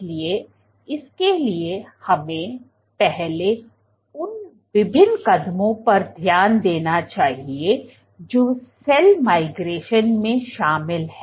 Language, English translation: Hindi, So, for that let us first look at the various steps which are involved in cell migration